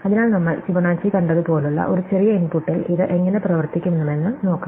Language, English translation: Malayalam, So, let’s see how this would work on an small input like we have just saw Fibonacci